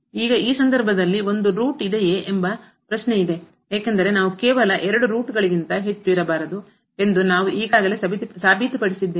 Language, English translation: Kannada, But, now the question is whether there is a root in this case, because we have just proved that there cannot be more than two roots